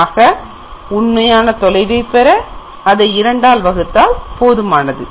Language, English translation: Tamil, We have to divide by two to get the actual distance